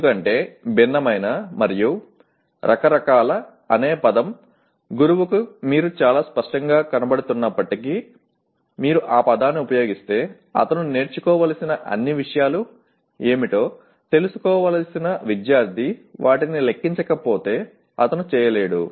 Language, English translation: Telugu, Because while “different” and “various” are very clear to the teacher if you use that word the student who is supposed to know what are all the things that he needs to learn unless they are enumerated he will not be able to